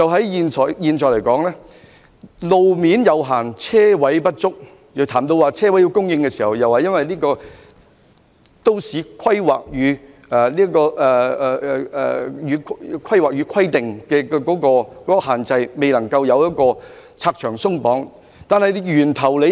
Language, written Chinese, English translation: Cantonese, 現時的路面有限，車位不足，但在研究車位供應問題時，政府當局卻推說受《香港規劃標準與準則》限制，未能拆牆鬆綁。, There is currently limited road space and insufficient parking spaces but when the issue of supply of parking spaces was raised for discussion the Government said that it was bound by the restrictions of the Hong Kong Planning Standards and Guidelines and refused to remove barriers